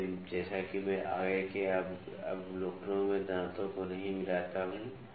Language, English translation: Hindi, So, as I do not mix the teeth’s in the further observations